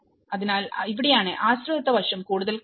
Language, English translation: Malayalam, So, this is where the dependency aspect is seen more